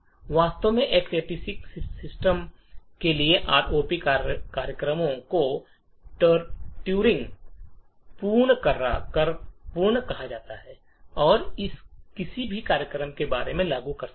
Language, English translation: Hindi, In fact, for X86 systems the ROP programs are said to be Turing complete and can implement just about any program